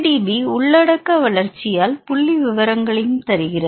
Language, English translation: Tamil, PDB also gives statistics by content growth